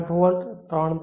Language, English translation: Gujarati, 8 volts 5 volts